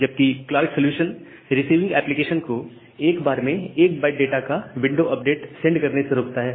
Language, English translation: Hindi, Whereas, the Clark solution, here it prevents the receiving application for sending window update of 1 byte at a time